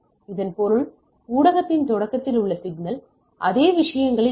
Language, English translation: Tamil, This means that the signal at the beginning of the media is not at the same other things